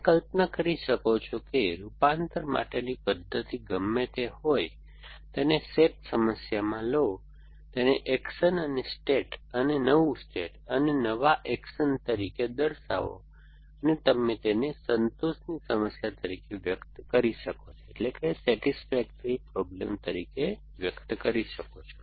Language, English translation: Gujarati, So, you can imagine that whatever the mechanism for convert, take it into a S A T problem, it is a relation between action and states and new states and new action so on and you express this as a satisfiability problem